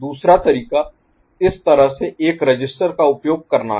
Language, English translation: Hindi, Alternative is to use a register like this